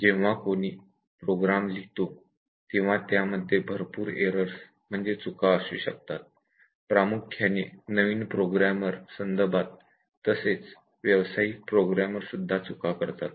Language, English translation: Marathi, When anybody writes a program, there may be lot of errors committed, specially the new programmers, even the professional programmers they commit mistakes